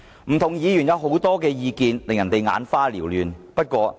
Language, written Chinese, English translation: Cantonese, 不同議員也提出很多意見，令人眼花撩亂。, Various other Members have also spoken giving us quite a bewildering array of different opinions